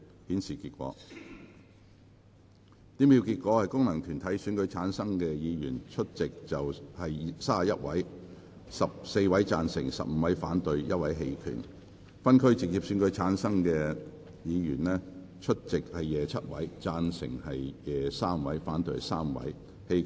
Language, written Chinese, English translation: Cantonese, 主席宣布經由功能團體選舉產生的議員，有28人出席 ，16 人贊成 ，11 人反對；而經由分區直接選舉產生的議員，有25人出席 ，3 人贊成 ，22 人反對。, THE PRESIDENT announced that among the Members returned by functional constituencies 28 were present 16 were in favour of the amendment and 11 against it; while among the Members returned by geographical constituencies through direct elections 25 were present 3 were in favour of the amendment and 22 against it